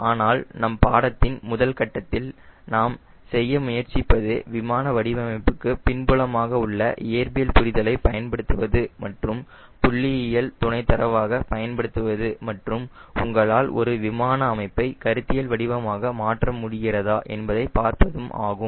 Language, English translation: Tamil, but in the first level, course, what we are trying to do is use understanding of the physics behind aircraft design and use as a complimentary statistical data and see whether you can conceptualize an aircraft configuration or not